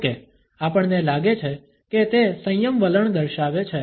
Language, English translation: Gujarati, However, we find that it shows a restraint attitude